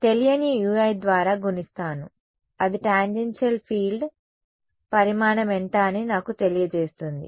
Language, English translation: Telugu, So, I multiply that by a unknown ui which tells me what is the magnitude of the tangential field right